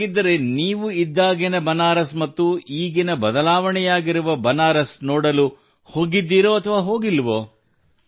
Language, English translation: Kannada, So, did you ever go to see the Banaras of that time when you were there earlier and the changed Banaras of today